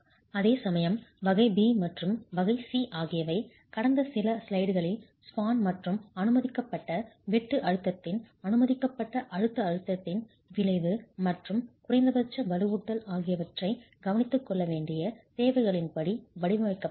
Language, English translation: Tamil, Whereas type B and type C would have to be designed as for the requirements that you saw in the last few slides on effective span and permissible shear stress, permissible compressive stress, and then minimum reinforcement has to be taken care of